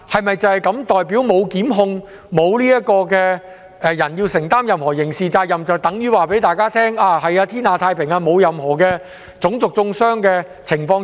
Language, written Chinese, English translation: Cantonese, 沒有檢控、沒有人須負上任何刑事責任，是否就代表天下太平、沒有任何種族中傷的情況出現？, With no prosecution and no one being held criminally liable does it mean the world is at peace without any racial vilification?